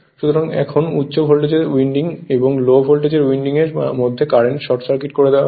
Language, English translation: Bengali, So, now the circuit in the high voltage winding to sorry current in the high voltage winding while low voltage winding is short circuited